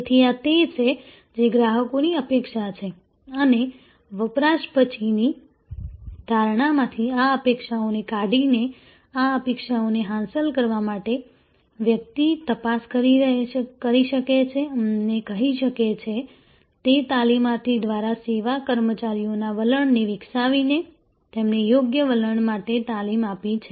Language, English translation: Gujarati, So, these are the what the customers expectation are and to achieve this expectation to surpass these expectations from the post consumption perception, one can do investigation and say, it is by trainee by developing a service personnel attitude, by training them for proper attitude